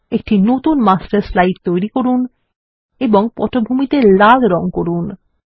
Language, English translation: Bengali, Create a new Master Slide and apply the color red as the background